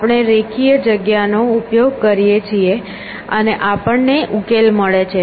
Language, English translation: Gujarati, We allowed using linear space and we are guaranteed the solution